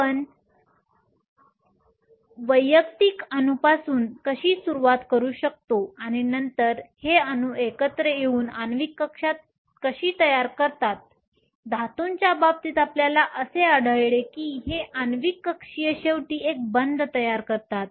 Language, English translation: Marathi, How you can start with individual atoms and then these atoms come together to form molecular orbitals, the case of metals you find that these molecular orbitals ultimately form a band